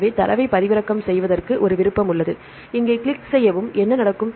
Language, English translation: Tamil, So, there is an option called download here, click here download what will happen